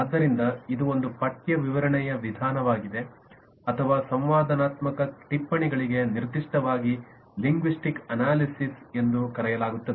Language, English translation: Kannada, so this is an approach specifically used for textual description of interactive notes is called a linguistic analysis